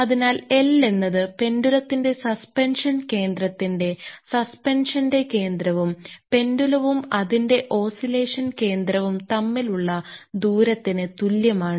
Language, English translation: Malayalam, So, and L is equal o the distance between the center of suspension of the pendulum center of suspension of so, pendulum and its center of oscillation